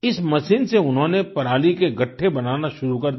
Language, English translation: Hindi, With this machine, he began to make bundles of stubble